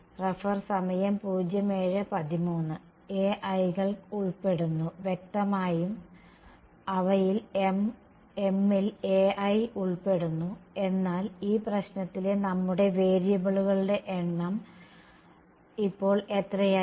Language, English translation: Malayalam, Involves the a i’s; obviously, m of them involves a i ok, but our number of variables in this problem has become how much now